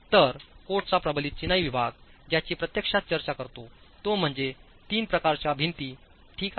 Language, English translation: Marathi, So, what the reinforced masonry section of the code actually talks of is three types of walls